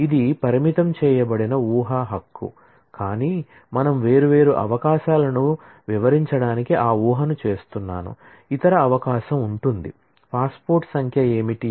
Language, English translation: Telugu, This is a restrictive assumption right, but I am just making that assumption to illustrate the different possibilities; then what is the other possibility passport number